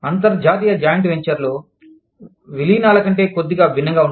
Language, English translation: Telugu, International joint ventures is slightly different than, mergers